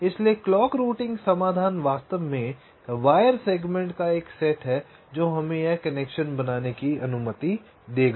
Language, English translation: Hindi, ok, so the clock routing solution is actually the set of wire segments that will allow us to make this connection